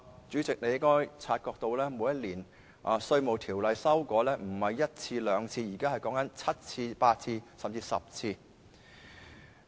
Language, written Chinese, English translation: Cantonese, 主席，你應該察覺到每年《稅務條例》的修訂次數不止1次、2次，現時是7次、8次，甚至10次。, Chairman you should have noticed that the number of amendments made to the Inland Revenue Ordinance every year is more than one or two―now there are seven eight or even 10 amendments